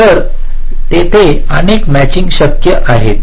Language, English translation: Marathi, so there can be multiple such matchings